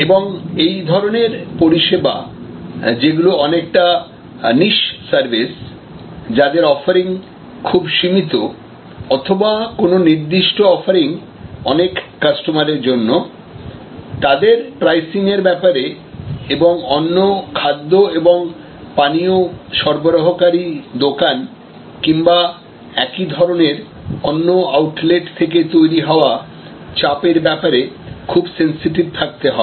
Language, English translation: Bengali, And this sort of service, which is more like a niche service, a kind of a narrow offering or specific offering for a large variety of customers, needs to be quite sensitive with respect to pricing and competitive pressures from similar outlets as well as alternative outlets, alternative food and beverage outlets